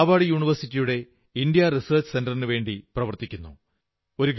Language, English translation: Malayalam, I am a resident of Mumbai and work for the India Research Centre of Harvard University